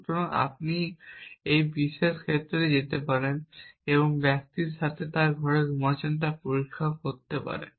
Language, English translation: Bengali, So, off course, you can in this particular case you can go and check with the person is sleeping in his room